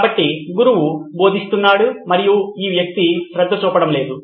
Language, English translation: Telugu, So, the teacher is teaching and this guy is not paying attention